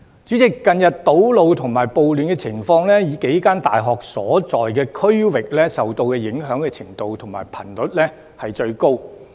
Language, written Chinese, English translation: Cantonese, 主席，近日堵路和暴亂的情況，以數間大學所在的區域受到影響的程度和頻率均最高。, President the districts where several universities are located have become the places which have been most seriously and frequently affected by the recent road blockage and riots